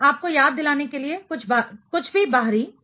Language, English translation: Hindi, Just to remind you anything outer sphere